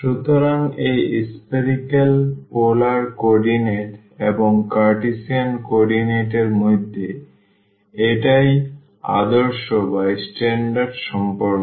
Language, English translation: Bengali, So, that is the standard relation between this spherical polar coordinates and the Cartesian co ordinate